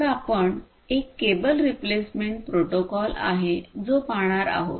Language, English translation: Marathi, So, there is a cable replacement protocol which I am not going through over here